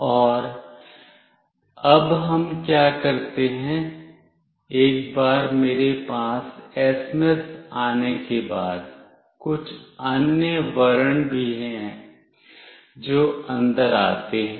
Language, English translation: Hindi, And now what we do, once I have the SMS with me, there are certain other characters also, that comes in